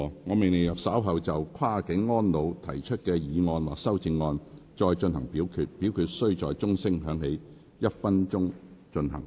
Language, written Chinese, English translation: Cantonese, 我命令若稍後就"跨境安老"所提出的議案或修正案再進行點名表決，表決須在鐘聲響起1分鐘後進行。, I order that in the event of further divisions being claimed in respect of the motion of Cross - boundary elderly care or any amendments thereto this Council do proceed to each of such divisions immediately after the division bell has been rung for one minute